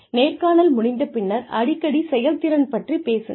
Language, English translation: Tamil, After the interview, communicate frequently about performance